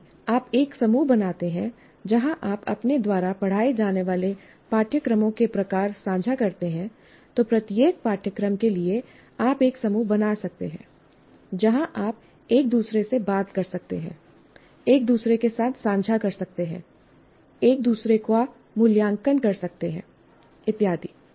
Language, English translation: Hindi, If you form a group where you share the type of courses that you teach, for each course you can form a kind of a group where you can talk to each other, share with each other, evaluate each other, and so on